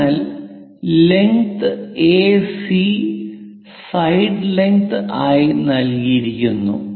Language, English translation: Malayalam, So, what is given is AC length is given as side length